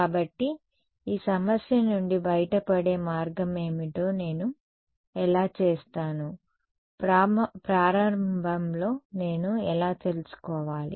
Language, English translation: Telugu, So, how will I what is the way out of this problem, how will I know it in the beginning